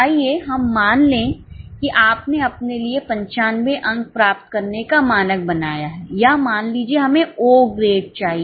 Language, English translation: Hindi, Let us assume that you set up for yourself a standard of getting 95 marks or let us say O grade